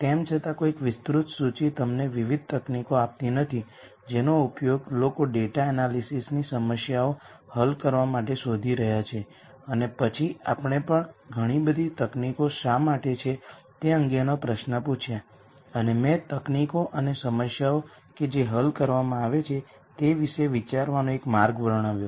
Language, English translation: Gujarati, Though not a comprehensive list gives you a variety of techniques that people are looking at to use to solve data analysis problems and then we also asked questions as to why there are so many techniques and I described one way to think about the techniques and the prob lems that are being solved